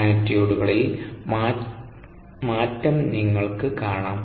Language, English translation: Malayalam, and you see the change in the magnitudes